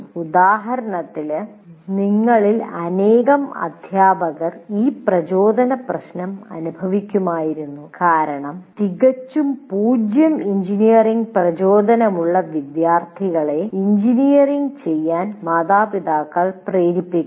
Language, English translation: Malayalam, Now, for example, this motivation issue many of you teachers would have experienced because students with absolutely zero motivation engineering are pushed by the parents to do engineering